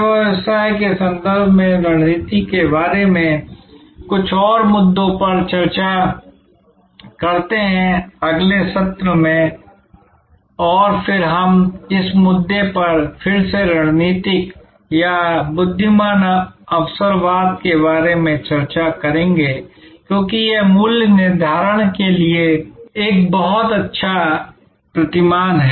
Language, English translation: Hindi, Let us discuss a few more issues about strategy in the context of the service business, in the next session and then we will again come back to this whole issue about strategic or intelligent opportunism, because this is also a very good paradigm for pricing in the service context which we will discuss this week